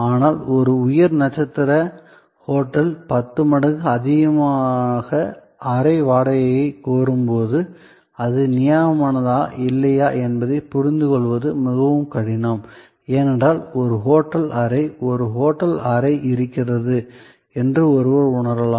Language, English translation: Tamil, But, when a high star hotel demands ten times more room rent, it is often very difficult to comprehend that whether that is justified or not, because one may feel a hotel room is a hotel room